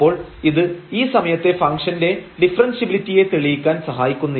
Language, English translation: Malayalam, So, it does not help us to prove the differentiability of this function at this point of time